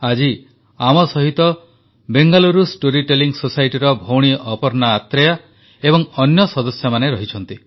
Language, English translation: Odia, Today, we are joined by our sister Aparna Athare and other members of the Bengaluru Storytelling Society